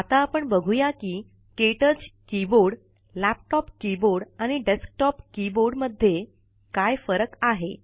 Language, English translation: Marathi, Now let us see if there are differences between the KTouch keyboard, laptop keyboard, and desktop keyboard